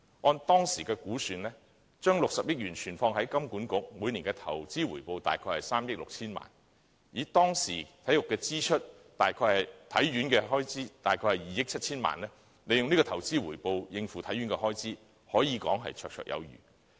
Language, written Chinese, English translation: Cantonese, 按當時的估算，將60億元存放於香港金融管理局，每年的投資回報約為3億 6,000 萬元；當時體院的開支約為2億 7,000 萬元，利用這投資回報應付體院的開支，可說是綽綽有餘。, According to the estimate made at that time the annual investment return on the 6 billion deposited in the Hong Kong Monetary Authority will be around 360 million . Given that the expenditure of HKSI at that time was approximately 270 million its investment return can be said to be more than enough to meet its expenditure